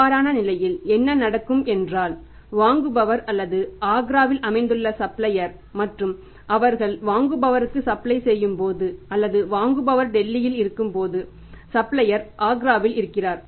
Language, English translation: Tamil, In that case this only happens that when the buyer is or maybe the supplier who is located in Agra and they are supplying buyer or the buyer is in Delhi